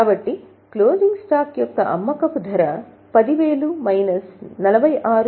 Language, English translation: Telugu, So, the selling price of closing stock is 10,000 minus 46